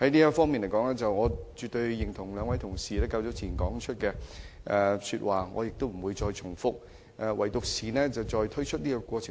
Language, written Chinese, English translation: Cantonese, 就此，我絕對認同兩位同事早前的發言，我不會重複他們的論點。, In this regard I absolutely agree with the speeches of two Members earlier . I will not repeat their arguments